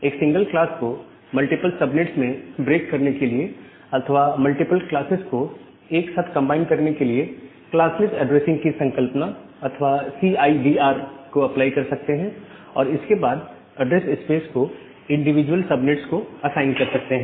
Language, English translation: Hindi, We can apply concept of classless addressing or CIDR to combining multiple classes together or to break a single class into multiple subnets and then assign the address space to individual subnets